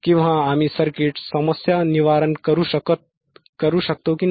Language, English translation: Marathi, Or whether we can troubleshoot the circuit or not